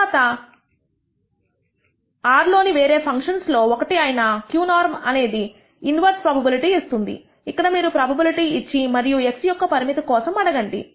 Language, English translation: Telugu, Then other functions in R one of them is q norm which actually does what is called the inverse probability; here you give the probability and ask what is the limit X